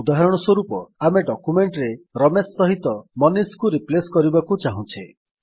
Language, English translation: Odia, For example we want to replace Ramesh with MANISH in our document